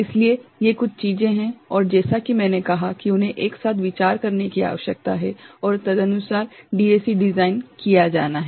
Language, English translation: Hindi, So, these are certain things and as I said they need to be considered together and accordingly the DAC design is to be done